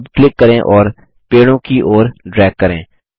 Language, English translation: Hindi, Now click and drag towards the trees